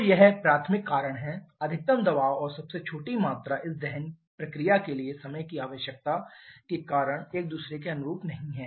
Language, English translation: Hindi, So, this is the primary reason the maximum pressure and smallest volume are not corresponding to each other because of the finite time requirement for this combustion process